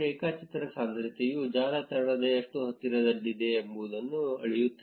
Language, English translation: Kannada, The graph density measures how close the network is to complete